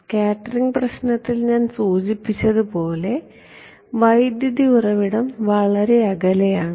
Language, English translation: Malayalam, As I mentioned in the scattering problem, the current source is far away